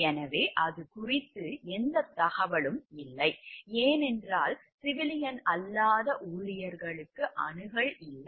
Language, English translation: Tamil, So, there is no information regarding that, because it is we which had no access by civilian non employees